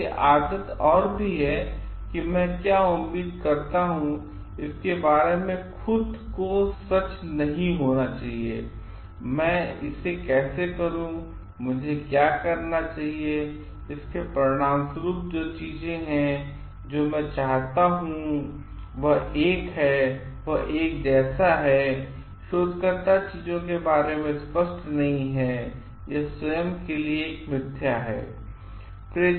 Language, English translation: Hindi, So, habit and not even being true to oneself about what I expect, what it tend to do, how I should be doing it, what are the things that I want to as a result, what I am designing for and it is like one the researcher is not clear about things and it is as a falsified to oneself